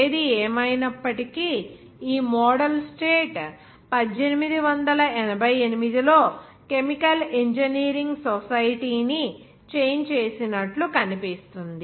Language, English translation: Telugu, However, this model state of that appears to make the society of chemical engineering was changed in 1888